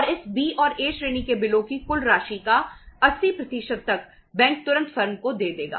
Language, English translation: Hindi, And up to 80% of the total amount of this B and A category of the bills bank will immediately give to the firm